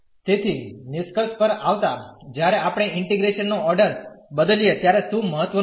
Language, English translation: Gujarati, So, coming to the conclusion what is important when we change the order of integration